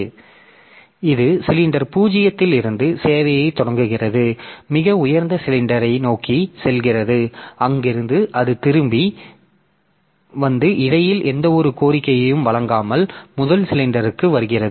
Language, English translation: Tamil, So, it starts servicing from cylinder 0 going towards the highest possible cylinder and from there it comes back and it comes back to the first cylinder without servicing any request in between